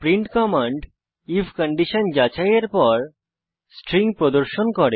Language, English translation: Bengali, print command displays the string after checking the if condition